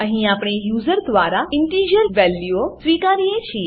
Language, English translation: Gujarati, Here we accept integer values from the user